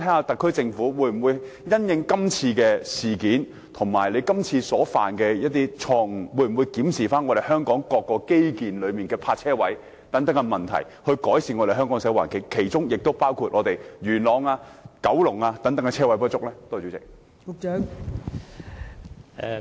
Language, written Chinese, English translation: Cantonese, 特區政府會否因應這次事件及犯下的錯誤，檢討香港各項基建的泊車位數目，以改善香港的社會環境，包括改善元朗及九龍等地泊車位不足的問題呢？, Will the SAR Government review the number of parking spaces in various infrastructure facilities in Hong Kong having regard to this incident and its mistake so as to improve Hong Kongs social environment including rectifying the shortage of parking spaces in places such as Yuen Long and Kowloon?